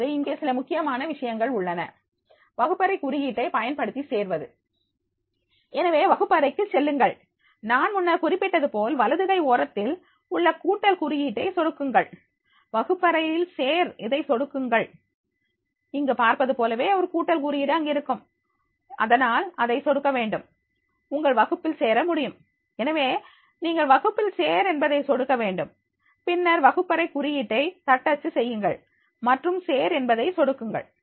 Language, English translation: Tamil, ) Now, here certain important points are there, using the classroom code to join, so to the go to the classroom, click on the plus sign in the right hand corner as I mention in the earlier slide also, click the join class, like her if you are able to see there in this notice that is the there is a plus sign, so therefore you have to click here and there will be click, there will be join the class, so you have to click on the join the class and then type in the classroom code and click join